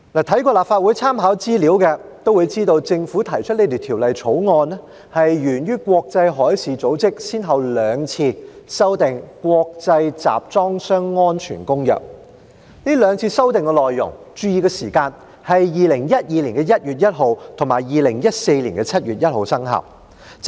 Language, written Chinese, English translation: Cantonese, 看過立法會參考資料摘要的議員都會知道，政府提出《條例草案》，是源於國際海事組織先後兩次修訂《國際集裝箱安全公約》，大家要注意，這兩次修訂內容的生效時間，分別是2012年1月1日及2014年7月1日。, Members who have read the Legislative Council Brief will know that the Governments proposed Bill stems from the amendments made to the International Convention for Safe Containers by the International Maritime Organization IMO on two occasions . Members should note that the effective dates of the amendments made on these two occasions were 1 January 2012 and 1 July 2014 respectively